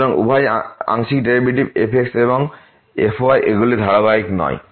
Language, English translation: Bengali, So, both a partial derivatives and , they are not continuous